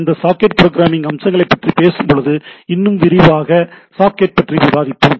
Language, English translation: Tamil, We will be detailing little more on the socket when we talk about this socket programming aspects